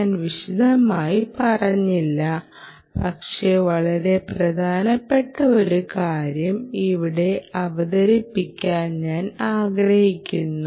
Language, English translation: Malayalam, I did not elaborate, but i want to bring out a very important point here